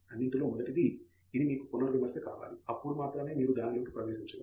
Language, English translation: Telugu, First of all, it should appeal to you; only then you should be getting into it